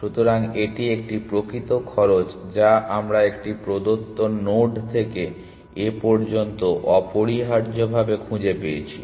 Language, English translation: Bengali, So, this is a actual cost that we have found to a given node so far essentially